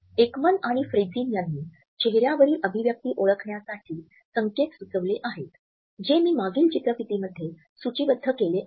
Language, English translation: Marathi, Ekman and Friesen have suggested cues for recognition of facial expressions, which I have listed in a previous slide